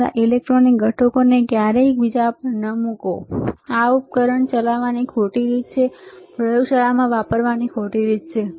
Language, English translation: Gujarati, Never place your electronic components one over each other; this is a wrong way of operating the system, wrong way of using in the laboratory, right